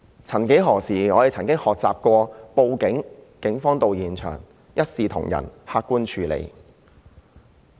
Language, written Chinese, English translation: Cantonese, 曾幾何時，我們學習報警，在警員到場後便會一視同仁、客觀地處理。, Once upon a time we learnt that after reporting to the Police the Police would arrive at the scene and handle the case impartially and objectively